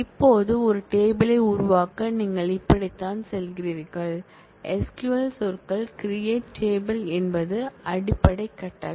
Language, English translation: Tamil, Now, to create a table this is how you go about, the SQL keywords create table is the basic command